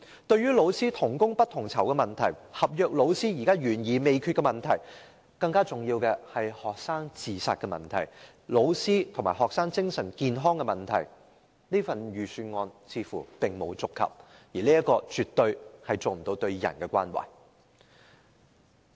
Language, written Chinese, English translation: Cantonese, 對於老師同工不同酬的問題、合約老師懸而未決的問題，以及更重要的學生自殺問題、老師和學生精神健康的問題，預算案似乎並沒有觸及，絕對沒有展現對人的關懷。, It looks like the Budget has not mentioned anything about unequal pay for teachers performing the same duties the unresolved problems associated with contract teaching staff the more important problem of student suicide and also the mental health of teachers and students . It has definitely failed to show any care for the people